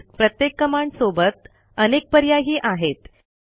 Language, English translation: Marathi, Moreover each of the command that we saw has many other options